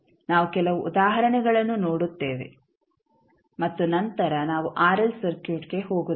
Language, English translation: Kannada, We will see some examples and then we will move onto rl circuit also